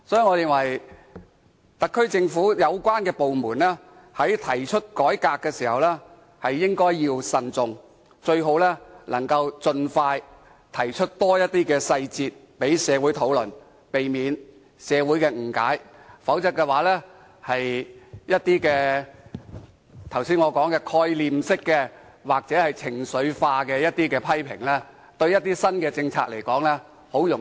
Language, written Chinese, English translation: Cantonese, 我認為特區政府有關部門在提出改革時應該慎重，最好能盡快提出更多細節讓社會討論，避免社會誤解；否則，正如我剛才提及，會招來的一些概念式或情緒化的批評，容易把某些新政策一棒打死。, I believe that the relevant departments in the SAR Government should adopt a prudent approach when putting forth revamp measures . It should disclose details for discussion in society as much and as early as possible so as to avoid creating social misunderstanding